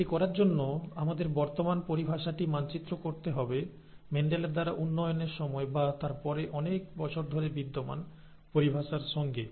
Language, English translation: Bengali, To do that, let us, we will have to map our current terminology to the terminology that existed during the development by Mendel, okay, or, soon after that for many years